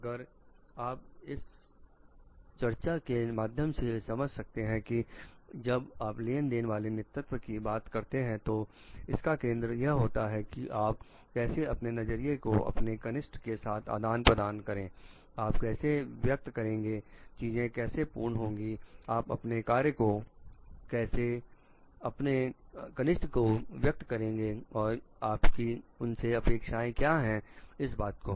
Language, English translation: Hindi, If you can understand through this discussion if like when you are talking of transactional leadership it is focusing on how you are exchanging your views with your juniors maybe, how you are expressing, how things will be getting done, how maybe you are explaining your jobs to your juniors and your expectations to them